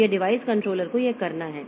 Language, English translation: Hindi, So, this is device controller has to do this